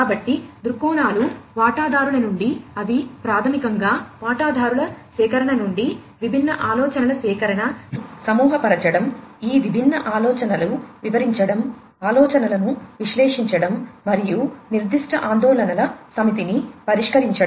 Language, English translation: Telugu, So, viewpoints are from the stakeholders, which are basically the collection of different ideas from the stakeholder’s collection, grouping of them, describing these different ideas, analyzing the ideas, and solving the set of specific concerns